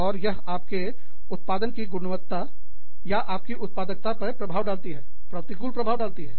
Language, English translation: Hindi, And, that in turn, influences the quality of output, you have, or, your productivity is affected by it, negatively affected by it